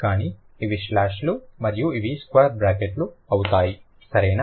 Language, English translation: Telugu, So, these are slashes and these are square brackets